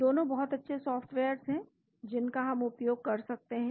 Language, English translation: Hindi, Both are very good softwares which we can use